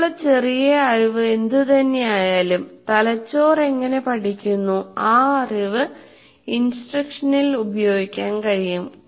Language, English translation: Malayalam, So whatever little knowledge that we have, how brains learn, that knowledge can be used in instruction